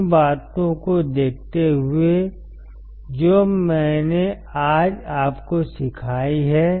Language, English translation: Hindi, Looking at the things that I have taught you today